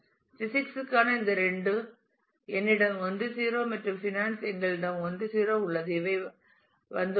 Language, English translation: Tamil, Whereas these two for physics I have 1 0 and for finance we have 1 0 here and these come to